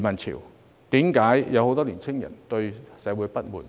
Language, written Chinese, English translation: Cantonese, 為何會有很多年輕人對社會不滿？, Why are there so many young people who are disgruntled with society?